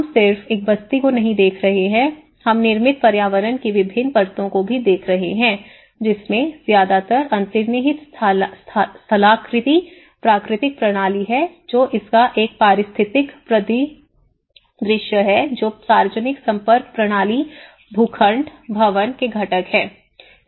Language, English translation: Hindi, We are not just looking at a settlement, we are also looking at the different layers of the built environment the mostly the underlying topography, the natural system which is an ecological landscape of it the public linkage system, the plots, the buildings, the components